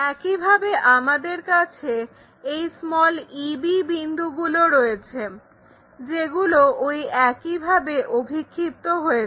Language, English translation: Bengali, Similarly, we have these points e b things those who are also projected in that way